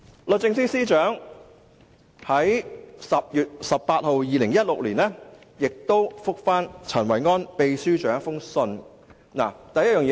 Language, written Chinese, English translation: Cantonese, 律政司司長在2016年10月18日亦以書面回覆陳維安秘書長。, The Secretary for Justice gave a written reply to Secretary General Kenneth CHEN on 18 October 2016